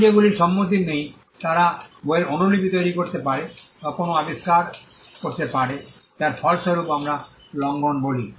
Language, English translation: Bengali, The fact that others who do not have as consent can make copies of the book or an invention would itself result to what we call infringement